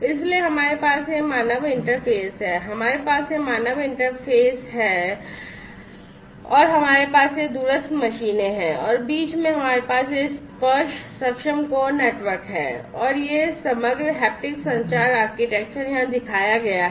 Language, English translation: Hindi, So, we have this human interface we have this human interface, this is this human interface we have these remote machines and in between we have this tactile enabled core network and this overall haptic communication architecture is shown over here